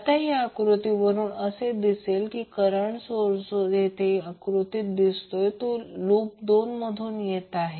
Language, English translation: Marathi, Now, from this figure you can see the current source which is there in the figure is coming between two loops